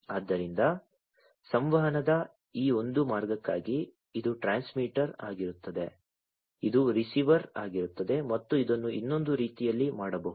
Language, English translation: Kannada, So, for you know for this one way of communication this will be the transmitter this will be the receiver and this could be made the other way as well